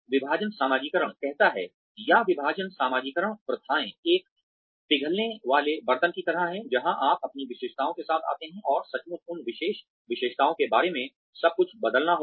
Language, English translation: Hindi, Divestiture socialization says, or divestiture socialization practices are more like a melting pot, where you come in with your own characteristics, and literally have to change everything about those special characteristics